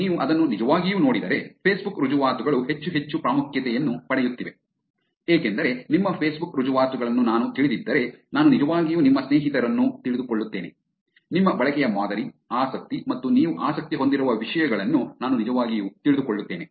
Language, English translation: Kannada, And if you really look at it, Facebook credentials are becoming more and more important, because if I know your Facebook credentials I actually get to know your friends, I actually get to know your pattern of usage, interest and topics that you may be interested in spending time